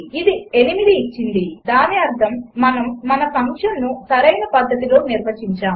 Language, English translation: Telugu, It returned 8,which means we have defined our function,the right way